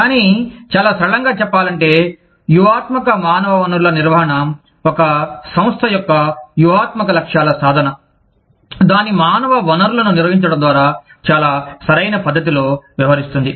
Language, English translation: Telugu, But, very simply stating, strategic human resource management deals with, the achievement of the strategic objectives of an organization, by managing its human resources, in the most appropriate manner